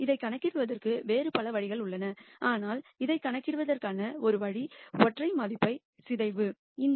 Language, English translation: Tamil, There are many other ways of computing this, but singular value decomposition is one way of computing this